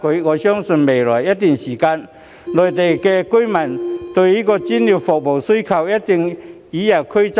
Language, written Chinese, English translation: Cantonese, 我相信未來一段時間，內地居民對於專業服務的需求將會與日俱增。, I believe that in the days ahead Mainland residents demand for professional services will increase day by day